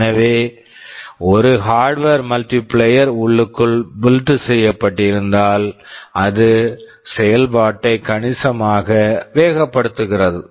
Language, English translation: Tamil, So, if there is a hardware multiplier built in, it speeds up operation quite significantly